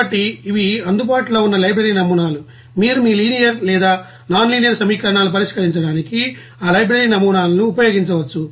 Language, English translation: Telugu, So, these are the library models that are available, you can use this library models to solve your you know linear or nonlinear equations